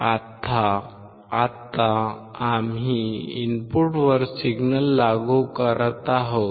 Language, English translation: Marathi, Now, we are applying the signal at the input